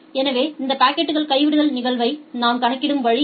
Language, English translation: Tamil, So, this is the way we calculate this packet drop probability